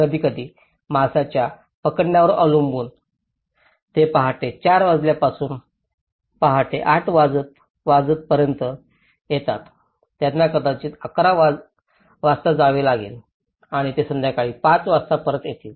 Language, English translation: Marathi, Sometimes, depending on the fish catch, they travel at morning four o clock they come at morning eight again they might go at 11:00 and they might come back at 2:00 they might go to evening 5:00